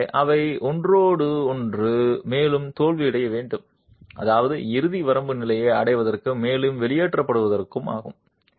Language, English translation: Tamil, So, each of those have to fail for further, I mean to reach the ultimate limit state and further expulsion to occur